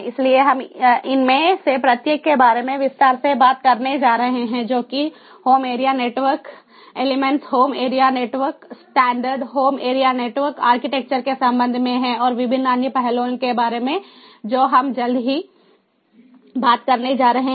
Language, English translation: Hindi, so, basically, you know, so we are going to talk about each of these in further detail with respect to the home area network, home area network elements, home area network standards, home area network architectures and the different other initiatives we are going to talk about shortly